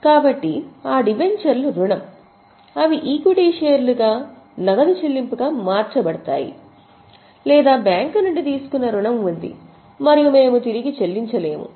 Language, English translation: Telugu, So, those debentures are debt, they are converted into equity shares, no cash payment, or there is a loan taken from bank and we are unable to make repayment